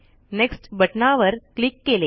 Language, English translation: Marathi, We pressed the next button